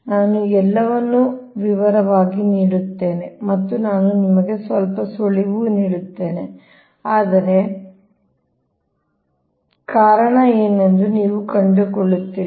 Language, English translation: Kannada, right, i give everything in details and i will give you some hint, but you find out what will the reason